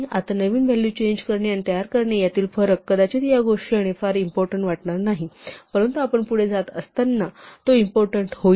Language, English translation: Marathi, Now this distinction between modifying and creating a new value may not seem very important at this moment, but it will become important as we go along